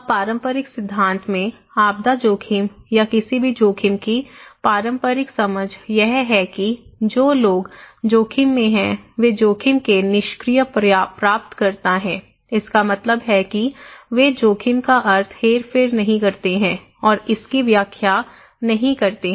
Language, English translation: Hindi, Now, in the conventional theory, conventional understanding of disaster risk or any risk is that individuals who are at risk they are the passive recipient of risk that means, they do not manipulate, interpret, construct the meaning of risk